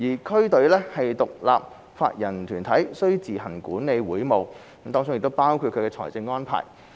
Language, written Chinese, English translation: Cantonese, 區隊是獨立法人團體，須自行管理會務，包括其財務安排。, District teams are independent legal entities which run their own affairs including financial arrangements